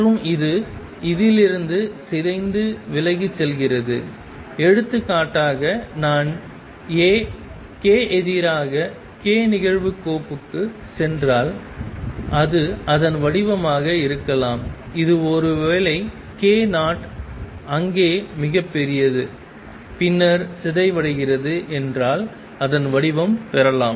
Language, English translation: Tamil, And it decays away from this So for example, it could be of the form if I go to plot A k verses k it could be of the form this is suppose k naught it is largest there and then the decays